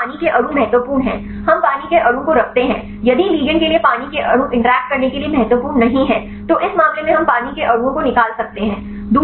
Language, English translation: Hindi, So, we if the water molecules are important; we keep the water molecule if the water molecules are not important for the ligand to interact, then this case we can remove the water molecules